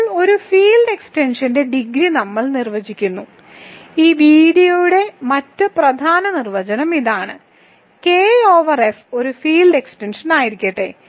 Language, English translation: Malayalam, So now, we continue and define the degree of a field extension; this is the other important definition of this video; let K over F be a field extension